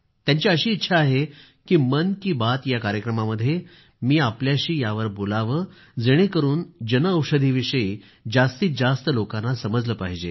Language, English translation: Marathi, He has expressed his wish that I mention this in 'Mann Ki Baat', so that it reaches the maximum number of people and they can benefit from it